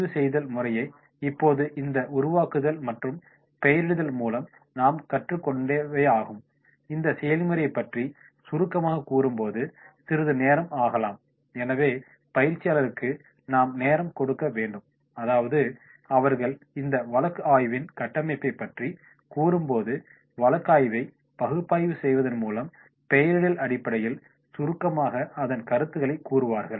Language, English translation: Tamil, The tapes are now whatever we have learned into these framing and labelling, during summarising this process can take some time, so we have to give time to trainees that is they will go through the case study they will go to the framing of this case study in case analysis, they will go through the labelling of the case analysis and then on the basis of that they will go now for the summarising